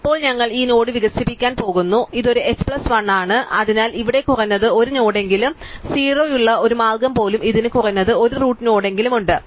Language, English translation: Malayalam, So, now we are going to expand out this node now it is a h plus 1, so there is at least 1 node here even a way which is 0 it has at least a root node